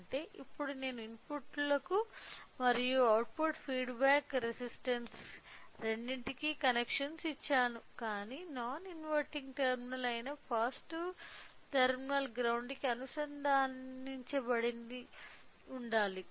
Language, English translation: Telugu, So, that means, now I have given connections for both input as well as an output feedback resistance, but the positive terminal which is the non inverting terminal should be connected to the ground